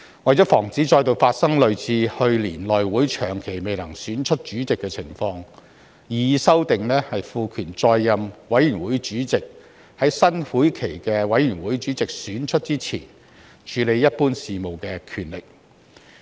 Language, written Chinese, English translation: Cantonese, 為防止再度發生類似去年內會長期未能選出主席的情況，擬議修訂賦權在任委員會主席在選出新會期的委員會主席之前處理一般事務的權力。, To prevent recurrence of the incidents similar to the one last year when the House Committee Chairman was unable to be elected for a very long time the proposed amendments empower the committee chairman in office to deal with normal business prior to the election of the committee chairman for a new session